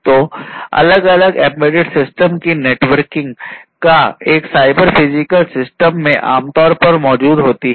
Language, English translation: Hindi, So, the networking of different embedded systems will typically exist in a cyber physical system